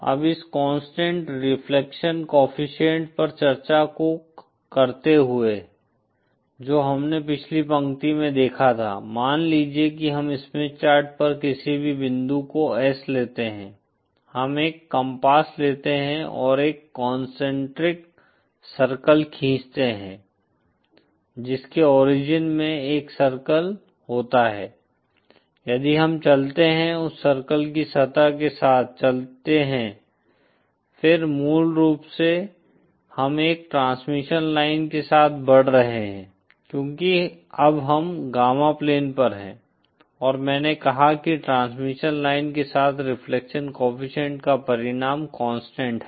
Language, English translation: Hindi, Now falling the discussion on this constant reflection coefficient that we had seen in the previous line, suppose we take S any point on the Smith Chart, we take a compass and draw a circle concentric circle which has a center at the origin then if we move along the surface of that circle then basically we are moving along a transmission line because now we are on gamma plane and I said that along a transmission line, the magnitude of the reflection coefficient is constant